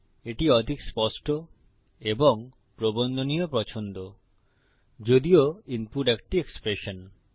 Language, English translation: Bengali, Its a lot more neater and formattable choice although the input is an expression